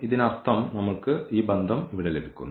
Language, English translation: Malayalam, So, that means, we are getting this relation here